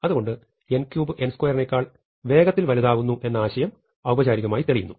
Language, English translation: Malayalam, So, our intuitive idea that n cube grows faster than n square can be formally proved using this definition